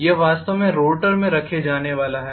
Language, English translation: Hindi, This is actually going to be housed in the rotor